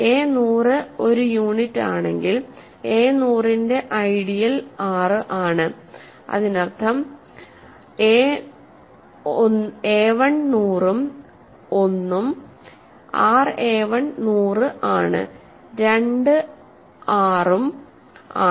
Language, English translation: Malayalam, So, if a hundred is a unit the ideal generated by a hundred is R, that means a1 hundred and one is also R a1 hundred and two is also R